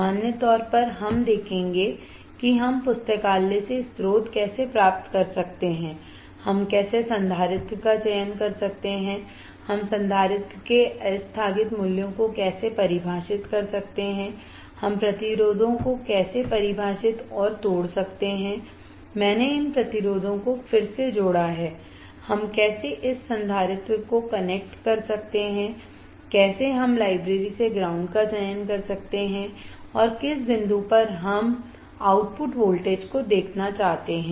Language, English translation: Hindi, In general we will see how we can get the source from the library, how we can select the capacitor, how we can define deferent values of capacitor, how we can define and break the resistors, I have again connected these resistors, how we can connect this capacitor, how we can select the ground from the library, and how at what point we want to see the output voltage